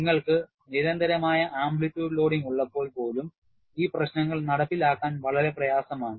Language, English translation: Malayalam, Even when you have a constant amplitude loading, these issues are very difficult to implement